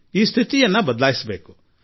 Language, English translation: Kannada, We have to change this situation